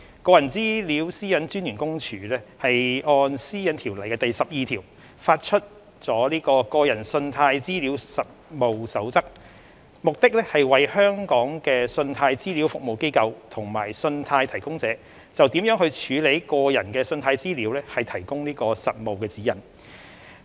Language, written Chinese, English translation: Cantonese, 個人資料私隱專員公署按《私隱條例》第12條發出了《個人信貸資料實務守則》，目的是為香港的信貸資料服務機構及信貸提供者就如何處理個人信貸資料提供實務指引。, The Code of Practice on Consumer Credit Data is issued by the Office of the Privacy Commissioner for Personal Data PCPD under section 12 of PDPO with an aim to provide practical guidance on the handling of consumer credit data to credit reference agencies CRAs and credit providers in Hong Kong